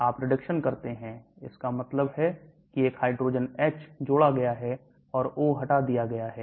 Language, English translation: Hindi, You do reduction, that means there is a hydrogen H added or O is removed